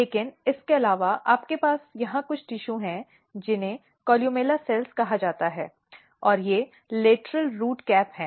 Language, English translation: Hindi, But apart from that you have some tissues here which is called columella cells and these are lateral root cap